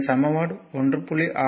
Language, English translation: Tamil, So, this equation 1